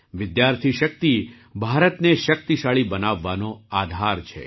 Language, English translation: Gujarati, Student power is the basis of making India powerful